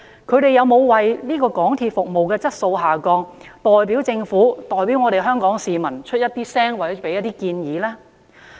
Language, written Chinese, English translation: Cantonese, 各人有否為港鐵服務質素下降而代表政府和香港市民發聲或提出建議呢？, Have they pointed out the deteriorated service quality or made suggestions to MTRCL on behalf of the Government and public?